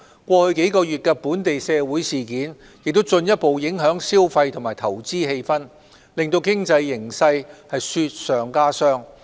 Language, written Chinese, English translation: Cantonese, 過去數月的本地社會事件也進一步影響消費及投資氣氛，令經濟形勢雪上加霜。, The local social events of the past few months have further affected the atmosphere of consumption and investment which has made the economic situation worse